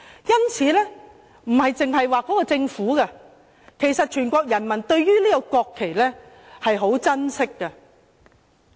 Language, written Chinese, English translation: Cantonese, 因此，不單是政府，其實全國人民對於國旗也十分珍惜。, Therefore not just the Government all the people cherish the national flag very much